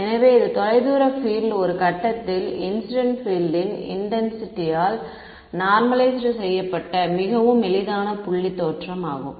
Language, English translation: Tamil, So, this is the far field intensity normalized by the incident field intensity at some point and the easiest point is the origin ok